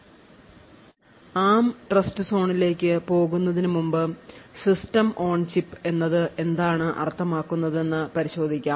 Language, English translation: Malayalam, Before we go into the ARM Trustzone we will take a look at what the System on Chip means